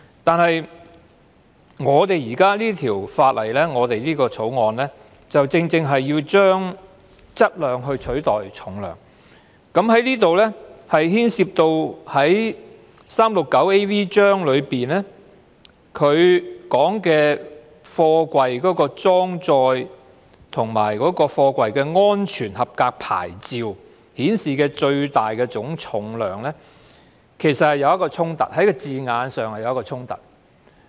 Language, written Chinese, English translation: Cantonese, 但是，《條例草案》正正是要將"質量"取代"重量"，這裏牽涉第 369AV 章中有關貨櫃的裝載及安全合格牌照顯示的最大總重量，在字眼上是有衝突。, But the Bill seeks to replace weight with mass which will clash with the term in Cap . 369AV regarding the loading of containers and the maximum gross weight indicated on the safety approval plates